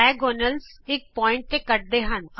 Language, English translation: Punjabi, The diagonals intersect at a point